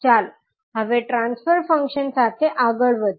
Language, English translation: Gujarati, Now, let us proceed forward with the transfer function